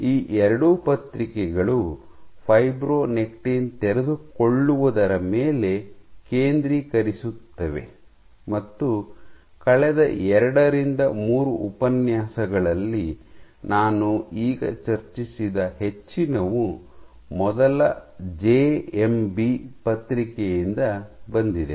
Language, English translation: Kannada, Both these papers focus on fibronectin unfolding and most of what I discussed just now over the last two lectures two three lectures comes from the first JMB paper